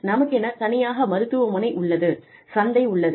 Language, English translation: Tamil, We have our own hospital, our own market